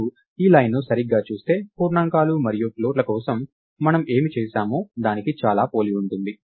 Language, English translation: Telugu, So, if you look at this line right its quite similar to what we would have done for integers and floats and so, on